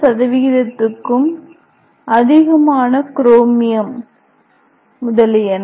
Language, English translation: Tamil, 5 percent chromium are there